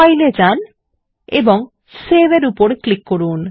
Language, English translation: Bengali, Go to File and click on Save